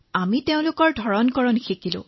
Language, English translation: Assamese, We were introduced to their language